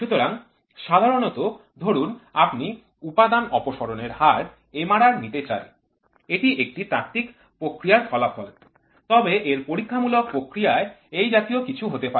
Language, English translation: Bengali, So, generally suppose you try to take away the Material Removal Rate, this will be the theoretical response their experimental response can be something like this